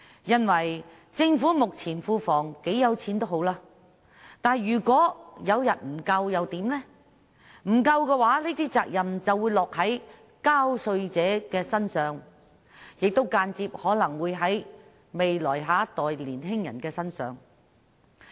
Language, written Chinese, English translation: Cantonese, 儘管政府目前庫房很富有，但如果有一天不足夠，責任便會落在納稅人身上，亦可能間接地落在下一代的年青人身上。, At present the Treasury of the Government is flooded with money . But in case the money becomes insufficient one day the responsibility will fall on taxpayers . It is also possible that it will indirectly fall on young people of the next generation